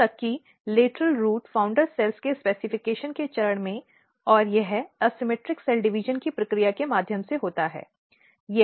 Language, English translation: Hindi, Even at the stage of lateral root founder cells specification and this happens through the process of asymmetric cell division and this is the LBD 16 same LBD 16